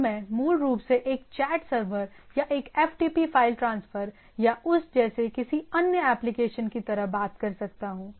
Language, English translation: Hindi, Now I can basically talk like a chat server or a FTP file transfer or any other applications like that